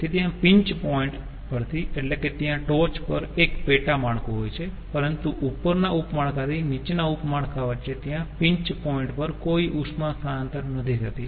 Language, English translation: Gujarati, the pinch point means at the top there are uh sub network, but from the top sub network to the bottom sub network there is no heat transfer across the pinch point